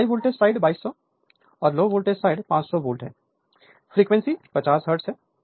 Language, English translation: Hindi, So, high voltage side 2200; low voltage side is 500 volt, 50 hertz frequency is 50 hertz